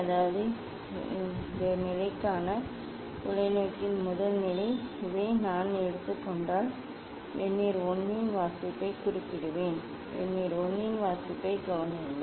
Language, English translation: Tamil, Means, if I take this is the first position of the telescope for this position, I will note down the reading of Vernier 1, note down the reading of Vernier 1